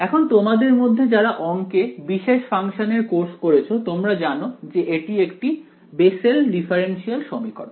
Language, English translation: Bengali, Now, those of you who have done course on special functions whatever in your math courses might recall what is called the Bessel differential equation